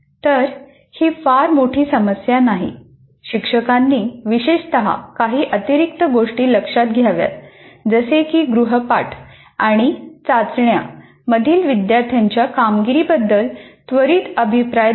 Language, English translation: Marathi, The only a few additional things, teachers should particularly pay attention to giving prompt feedback on student performance in the assignments and tests